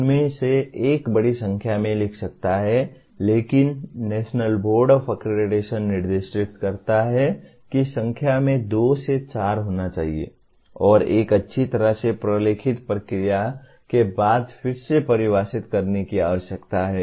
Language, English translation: Hindi, One can write large number of them, but the National Board Of Accreditation specifies there should be two to four in number and need to be defined again following a well documented process